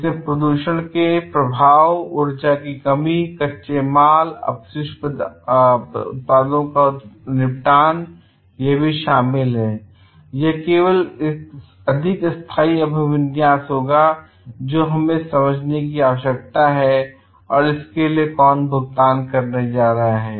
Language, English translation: Hindi, These are the effects of pollution, depletion of energy and raw materials, disposal of waste products are also included and this will have a more sustainable orientation and we need to understand like who is going to pay for it